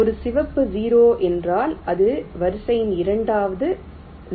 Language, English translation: Tamil, a red zero means this is the second zero in sequence